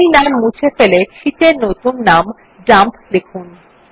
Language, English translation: Bengali, Now delete the default name and write the new sheet name as Dump